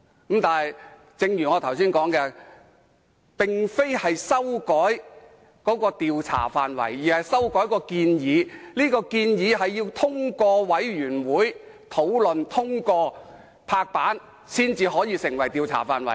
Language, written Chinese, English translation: Cantonese, 但是，正如我剛才所說，這並非修改調查範圍，而是修改調查範圍的建議，這項建議須經專責委員會討論和通過，才能成為調查範圍。, However as I have just said LEUNG Chun - ying had not amended the scope of inquiry but the proposed scope of inquiry . The proposal has to be discussed and adopted by the Select Committee before the scope of inquiry can be finalized